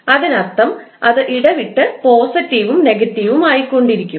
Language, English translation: Malayalam, So, that means it will alternatively become positive and negative